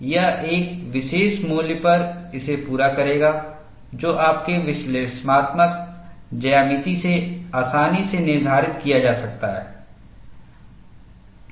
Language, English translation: Hindi, This will meet this, at a particular value, which could be easily determined from your analytical geometry